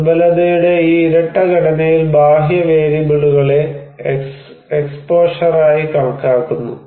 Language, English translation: Malayalam, External variables is considered in this double structure of vulnerability as exposure